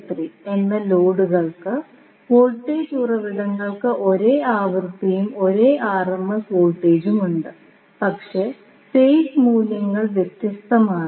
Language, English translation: Malayalam, So, loads are Zl1, Zl2 and Zl3 voltage sources are having same frequency and same RMS voltage, but the phase values are different